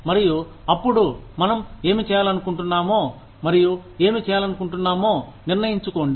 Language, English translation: Telugu, And, then decide, what we want to do, and what we do not want to do